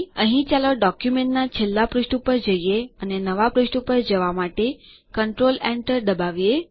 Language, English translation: Gujarati, Here let us scroll to the last page of the document and press Control Enter to go to a new page